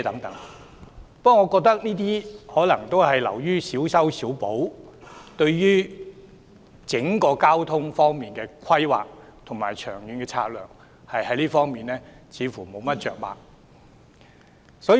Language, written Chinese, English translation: Cantonese, 但我覺得這些措施只是小修小補，對整體交通規劃和長遠策略似乎着墨不多。, However I think these measures are just piecemeal while there seems to be little mention of the overall transport planning and long - term strategy